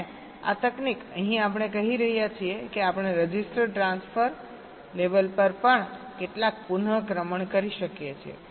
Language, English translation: Gujarati, here we are saying that we can also do some re ordering at the register transfer level